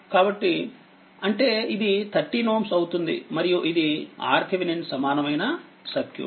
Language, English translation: Telugu, So, that means, this one will be 13 ohm and this is your Thevenin equivalent circuit right